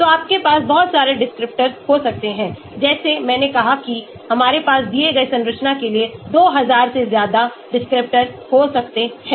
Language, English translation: Hindi, so you could have lot of descriptors like I said we can have 2000+ descriptors for given structure